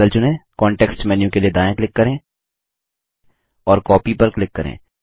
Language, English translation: Hindi, Select the cloud, right click for the context menu and click Copy